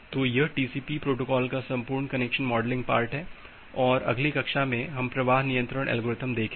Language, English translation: Hindi, So, this is the entire connection modeling part of TCP protocol and in the next class, we’ll look into the flow control algorithm